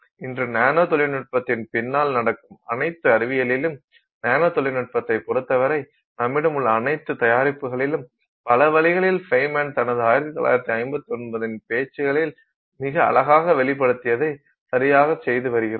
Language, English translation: Tamil, Today in nanotechnology, in all the science that happens behind nanotechnology, all the products that we have with respect to nanotechnology, in many ways we are doing exactly what Fine Man had very beautifully put out in his 1959 talk